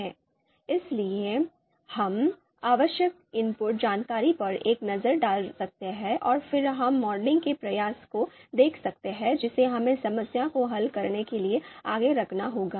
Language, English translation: Hindi, So we can have a look at the required input information and then we we we can look at the modeling effort that we have to put forth to solve the problem